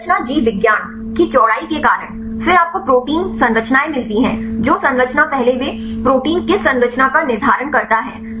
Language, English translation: Hindi, Because of the width of the structure biology, then they you get the protein structures, which structure first they determine the structure which protein